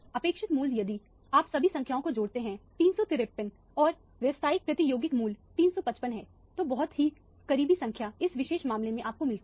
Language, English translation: Hindi, The expected value if you add up all the numbers 353 and the actual experimental value is 355 so very, very close numbers is what you get in this particular case